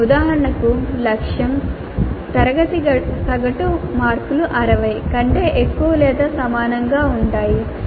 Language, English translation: Telugu, For example, the target can be that the class average marks will be greater than are equal to 60